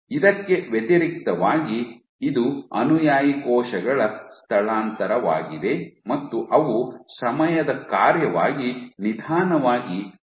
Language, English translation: Kannada, So, this is a displacement of the follower cells they were migrating much slowly as a function of time